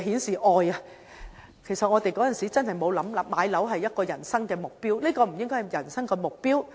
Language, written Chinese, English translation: Cantonese, 事實上，我們當年真沒想過買樓是人生目標，這不應該是人生目標。, Actually we did not consider purchasing a flat as the target of life at that time . This should not be the target of life